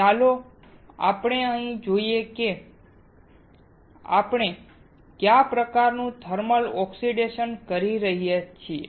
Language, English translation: Gujarati, So, let us see here what kind of thermal oxidation can we perform